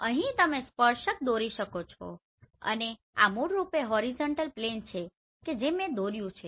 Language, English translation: Gujarati, Here you can draw a tangent and this is basically horizontal plane you have drawn right